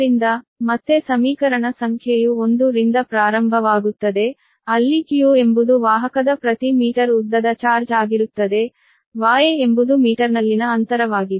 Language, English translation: Kannada, so again, equation number is starting from one right, where q is the charge on the conductor per meter length, y is the distance in meter and the epsilon zero is the permittivity of the free space